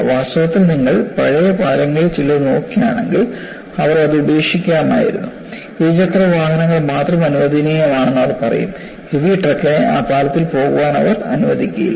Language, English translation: Malayalam, In fact, if you look at some of the old bridges, they would have discarded it; they would say that its permissible to allow only two wheelers; they will not allow heavy truck to go on that bridge